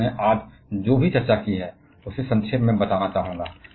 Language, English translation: Hindi, So, I would like to summarize whatever we have discussed today